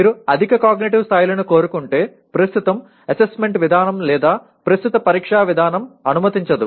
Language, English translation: Telugu, If you want higher cognitive levels, the present assessment mechanism or the present examination system does not allow